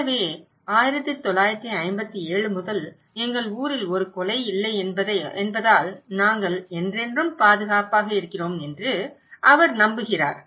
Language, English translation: Tamil, So, he believes that we are safe forever because that our town has not had a murder since 1957